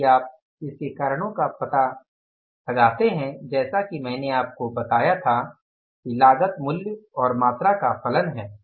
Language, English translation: Hindi, If you find out the reasons as I told you the cost is the function of price and quantity